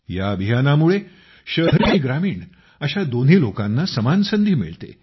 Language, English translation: Marathi, This provides equal opportunities to both urban and rural people